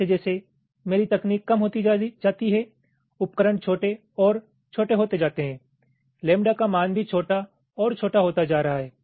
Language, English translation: Hindi, as my technology scales down, devices becomes smaller and smaller, the value of lambda is also getting smaller and smaller